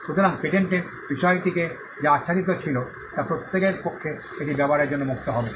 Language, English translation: Bengali, So, whatever was covered by the subject matter of a patent, will then be free for everybody to use it